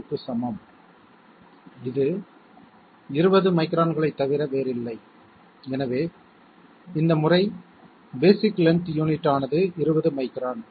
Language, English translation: Tamil, 02, which is nothing but 20 microns, so the basic length unit is 20 microns this time